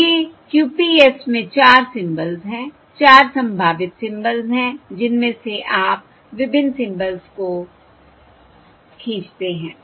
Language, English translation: Hindi, So these are the 4 symbols in QPS, 4 possible symbols out of which you draw the various symbols